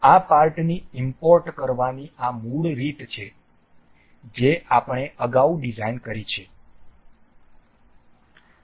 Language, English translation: Gujarati, This is the basic way to import these parts that we have designed earlier